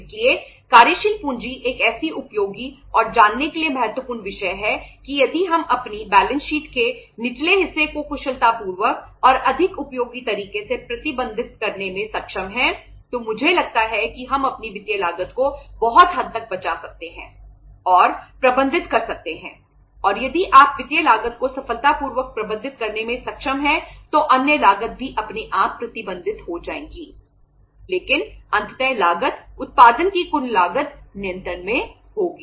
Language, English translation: Hindi, So working capital is such a say say useful and important subject to learn that if we are able to manage our lower part of balance sheet efficiently and say more usefully then I think to a larger extent we can save and manage our financial cost and if you are able to manage the financial cost successfully automatically the other cost will also have to be managed but ultimately the cost, total cost of production will be under control